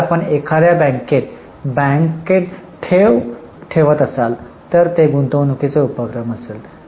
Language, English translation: Marathi, If you are putting a deposit in a bank it will be an investing activity